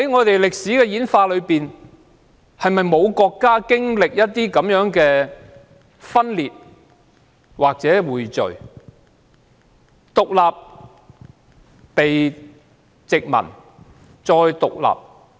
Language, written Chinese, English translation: Cantonese, 在歷史演化中，是否沒有國家曾經歷分裂或匯聚，或曾經歷獨立、被殖民，然後再獨立？, In the course of historical development is there a country which has not experienced division convergence independence colonization and independence again?